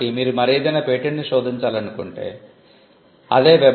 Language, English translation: Telugu, So, if you want to search any other patent, you could go to www